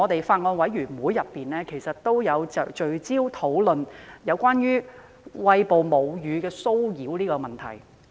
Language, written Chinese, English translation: Cantonese, 法案委員會曾聚焦討論有關餵哺母乳的騷擾問題。, The Bills Committee focuses on discussing the harassment of breastfeeding women